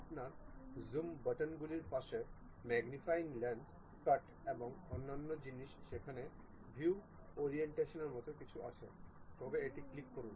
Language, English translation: Bengali, Next to your Zoom buttons, magnifying lens, cut and other thing there is something like View Orientation, click that